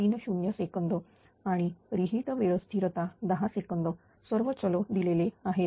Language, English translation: Marathi, 30 second and the re time constant 10 second all parameters are given